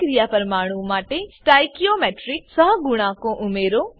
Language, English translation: Gujarati, Add stoichiometric coefficients to reaction molecules